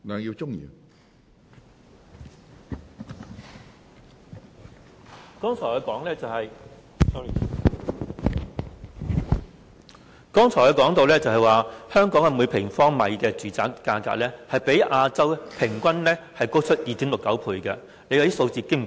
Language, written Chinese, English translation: Cantonese, 我剛才說到，香港每平方米住宅價格，較亞洲平均高出 2.69 倍，數字相當驚人。, As I said just now Hong Kongs per - square - metre property price is 2.69 times higher than the Asian average which is a fairly alarming figure